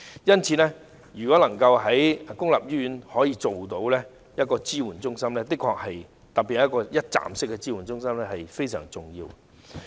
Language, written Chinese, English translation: Cantonese, 因此，在公立醫院成立支援中心，特別是一站式的支援中心非常重要。, It is thus very important that the Government sets up support centres especially support centres with one - stop services in public hospitals